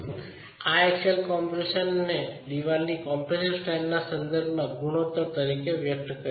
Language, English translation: Gujarati, This axial compression expressed as a ratio with respect to the compressive strength of masonry